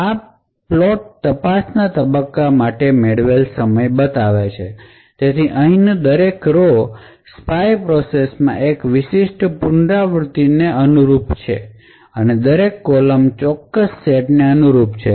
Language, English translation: Gujarati, obtained for the probe phase, so each row over here corresponds to one particular iteration in the spy process and each column corresponds to a particular set